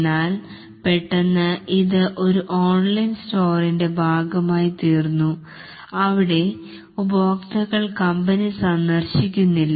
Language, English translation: Malayalam, But suddenly it became part of an online store where customers don't visit the company, the business anymore